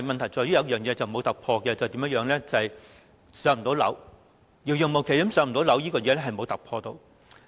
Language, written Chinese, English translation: Cantonese, 但是，有一件事是沒有突破的，便是"上樓"遙遙無期，這問題至今仍然沒有任何突破。, Yet there has been no breakthrough in one thing that is the date of waitlisted applicants being allocated units remaining nowhere in sight